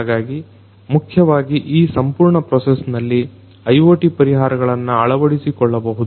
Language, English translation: Kannada, So, all of these basically in this entire process, IoT solutions could be deployed